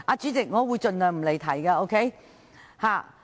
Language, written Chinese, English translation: Cantonese, 主席，我會盡量不離題。, President I will try very hard not to digress